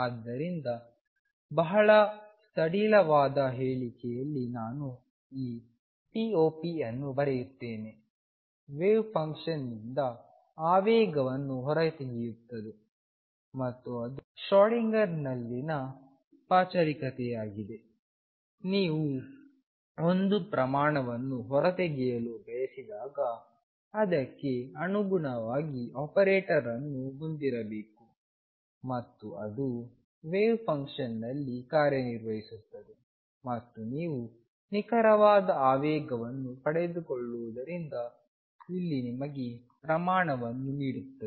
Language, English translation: Kannada, So, in a very loose statement I will just write this p operator extracts the momentum from a wave function and that is the formalism in Schrödinger that whenever you want to extract a quantity it has to have a corresponding operator that then acts on the wave function and gives you that quantity incidentally here since you get exact momentum